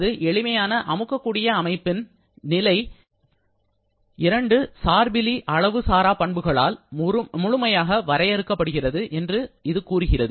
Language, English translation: Tamil, The state of a simple compressible system is completely defined by two independent intensive properties